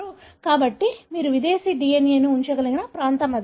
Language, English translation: Telugu, So, that is the region where you can put the foreign DNA